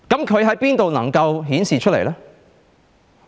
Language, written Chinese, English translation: Cantonese, 它可在哪裏顯示出來呢？, From where can this be seen?